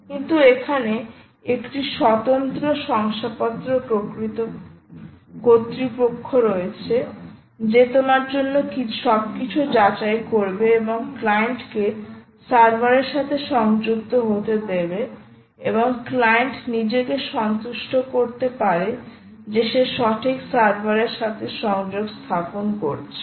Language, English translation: Bengali, here there is an independent certificate authority who will verify everything for you and actually let the client connect to the server, and the client can satisfy itself that it is connecting to the right server